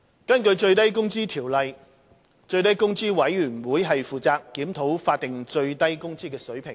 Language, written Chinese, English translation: Cantonese, 根據《最低工資條例》，最低工資委員會負責檢討法定最低工資水平。, Under the Minimum Wage Ordinance MWO the Minimum Wage Commission MWC is tasked with reviewing the SMW rate